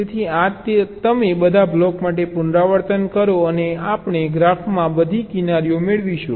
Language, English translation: Gujarati, so this you repeat for all the blocks and we will getting all the edges in the graph right